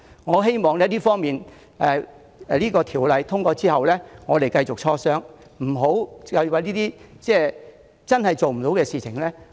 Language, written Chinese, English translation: Cantonese, 我希望在《條例草案》通過後，我們繼續磋商，而不要糾纏於不可行的事情。, I hope our negotiation will go on after the passage of the Bill rather than wasting time on unfeasible proposals